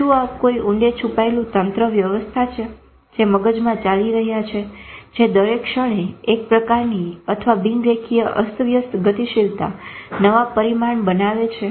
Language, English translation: Gujarati, Is it the deeper hidden network operational which are going on in the brain which every moment are creating in a sort of non linear chaotic dynamics, new dimension